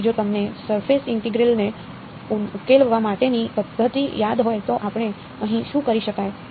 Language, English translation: Gujarati, So, if you recall the tricks that we had used for that surface integral what would you do